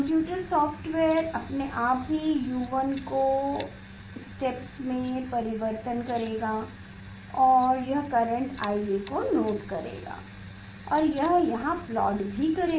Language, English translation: Hindi, computer software itself it will vary the U 1 instep and it will note down the current IA and it will plot here